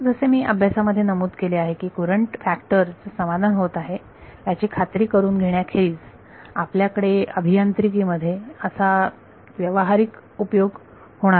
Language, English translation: Marathi, As I mentioned in practice this is apart from just making sure that the courant factor is satisfied there is not much practical use in the engineering that we will have for this